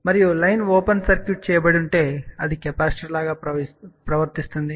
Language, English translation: Telugu, And if the line is open circuited , it behaves like a capacitance